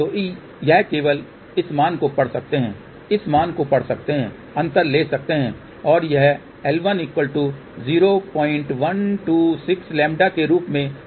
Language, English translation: Hindi, So, this you can just see read this value, read this value take the difference and that comes out to be L 1 equal to 0